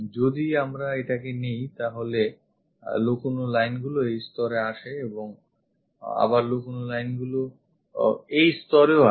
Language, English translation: Bengali, If we are picking this one the hidden lines comes at this level and again hidden lines comes at that level